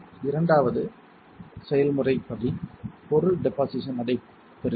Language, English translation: Tamil, The second process step is deposition of the material takes place